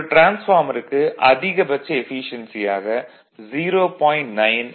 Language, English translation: Tamil, A transformer has its maximum efficiency of 0